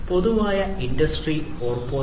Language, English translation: Malayalam, In Industry 4